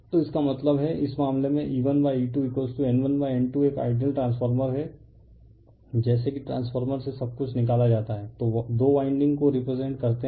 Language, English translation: Hindi, So that means, in this case your E 1 by E 2 is equal to N 1 by N 2 is an ideal transformer as if everything is taken out from the transformer are represented by two winding